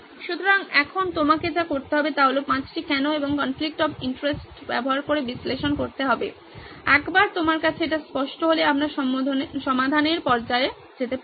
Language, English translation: Bengali, So now what you had to do was to analyze using 5 why’s and the conflict of interest, once you have that then we can jump into the solved stage